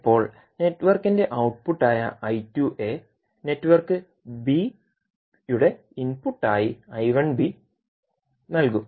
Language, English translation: Malayalam, Now the I 2a which is output of network a will be given as input which is I 1b to the network b